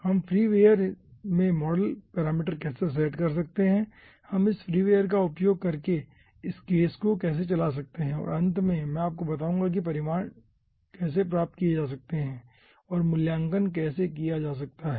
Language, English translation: Hindi, so in this we will be understanding how the freeware can be installed, how we can set model parameters in the freeware, how we can run a case in using this freeware and, finally, i will be showing you how results can be obtained and evaluated